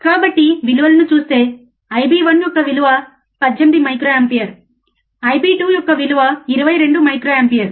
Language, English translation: Telugu, So, given the values of I b 1, which is 18 microampere, I bIb 2 is 22 microampere